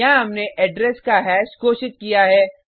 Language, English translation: Hindi, Here we have declared hash of address